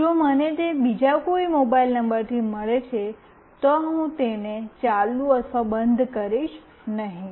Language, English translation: Gujarati, If I get it from any other mobile number, I will not make it on or off